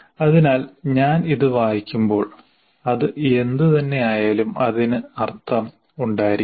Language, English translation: Malayalam, So when I read this and whatever that is written here, it should make sense